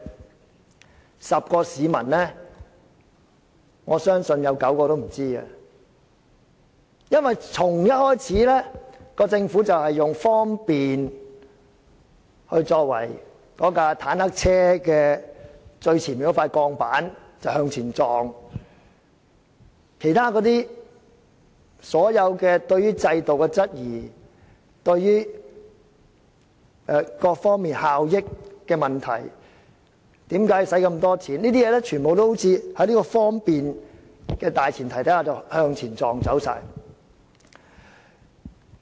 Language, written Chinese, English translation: Cantonese, 我相信10個市民中有9個也不知道，因為打從一開始，政府便以"方便"作為它那輛"坦克車"最前面的那塊鋼板向前撞，其他所有對制度的質疑、各方面效益的問題、為何花這麼多錢等的問題，都好像在"方便"的大前提下全被撞走了。, In fact if we ask Hongkongers on the street according to what system and procedures this thing in my hand is devised apart from such cliché as the Three - step Process I believe nine out of 10 people have no idea at all because right from the very beginning the Government has been using convenience as the frontmost steel plate of that tank and ramming ahead . All the other queries about the system issues about the benefits in various aspects and questions such as why it costs such a huge amount of money are like being knocked off on the premise of convenience